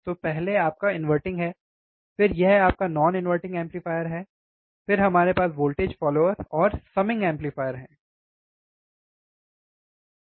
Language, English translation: Hindi, So, first is your inverting, then it is your non inverting amplifier, then we have voltage follower and summing amplifier